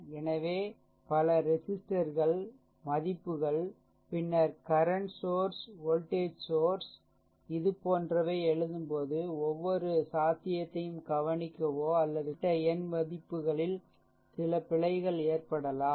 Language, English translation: Tamil, So, many register values, then current source voltage source while I making write writing like this there is every possibility I can overlook or I can make some error also particular numerical value